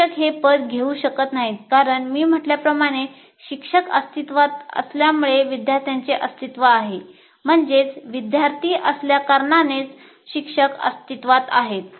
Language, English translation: Marathi, You cannot take that situation because, as I said, we exist because of the students